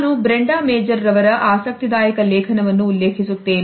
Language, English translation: Kannada, I refer to an interesting article by Brenda Major